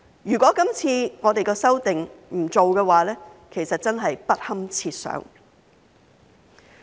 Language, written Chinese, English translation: Cantonese, 如果我們今次不作出修訂，其實真是不堪設想。, If we had not undertaken this amendment exercise the consequences would really be unthinkable